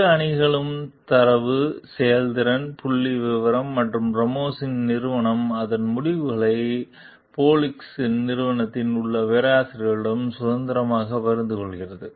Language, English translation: Tamil, Both teams obtain in data, performance, figures, and Ramos s company freely shares its results with the professors in Polinski s company